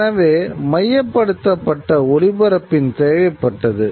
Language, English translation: Tamil, And therefore there was a need for centralized transmission